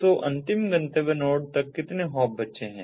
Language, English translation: Hindi, so how many hops are left until the final destination node